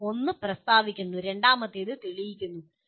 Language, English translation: Malayalam, Okay, one is stating and the second one is proving